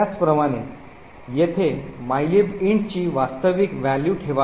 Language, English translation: Marathi, Similarly, over here the actual value of mylib int should be placed